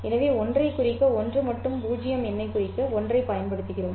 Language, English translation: Tamil, So, if you use 1 to denote the symbol 1 and 0 number to denote 0, this 0 and 1 is the binary digit